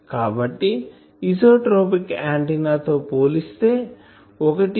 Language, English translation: Telugu, So, compared to an isotropic antenna it forms, 1